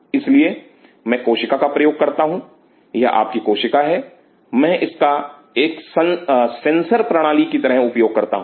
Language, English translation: Hindi, So, I use the cell this is your cell, I use this as a sensor system